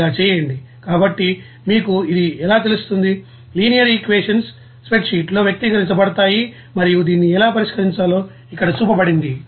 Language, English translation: Telugu, Like this here so how this you know linear equations can be expressed in a spreadsheet and how to solve this is shown here